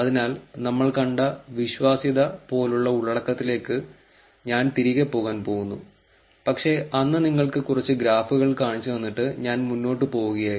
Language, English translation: Malayalam, So, I am going to go back to the content like the credibility that we saw, but then I just showed you some graph and I moved on